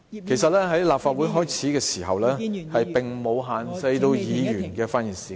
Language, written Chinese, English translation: Cantonese, 其實，立法會最初並沒有限制議員的發言時間......, As a matter of fact in the beginning the Legislative Council did not set limits for Members speaking time